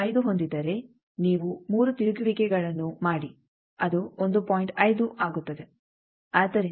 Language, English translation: Kannada, 5 you make 3 rotations that will be 1